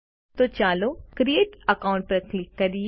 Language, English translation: Gujarati, So, lets click Create Account